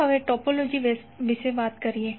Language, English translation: Gujarati, Now let us talk about the topology